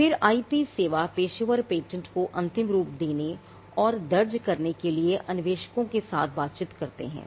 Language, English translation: Hindi, Then the IP service professionals interact with inventors to finalize and file the patent